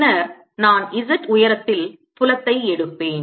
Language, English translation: Tamil, then i would take field at hight z